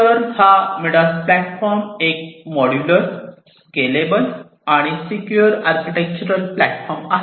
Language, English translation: Marathi, So, this MIDAS platform is a modular, scalable, and secure architectural platform